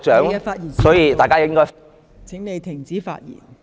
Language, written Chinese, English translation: Cantonese, 鄭議員，你的發言時限到了，請停止發言。, Dr CHENG your speaking time is up . Please stop speaking